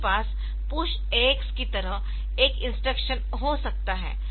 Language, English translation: Hindi, So, you can have a instruction like push AX